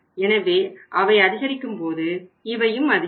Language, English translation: Tamil, So maybe going up so it will also go up